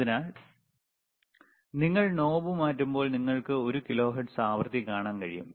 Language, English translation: Malayalam, So, when you when you change the knob, what you are able to see is you are able to see the one kilohertz frequency